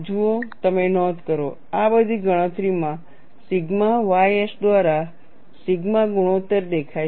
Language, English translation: Gujarati, See, you note down the ratio sigma by sigma ys appears in all these calculations